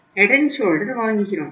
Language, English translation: Tamil, Head and Shoulder is the one brand